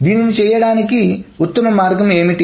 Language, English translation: Telugu, So what is the best way of doing it